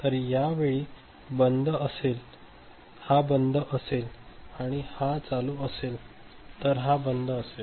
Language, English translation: Marathi, So, this will be OFF at that time, if it is ON this is OFF ok